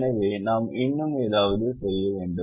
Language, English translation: Tamil, we have to do something more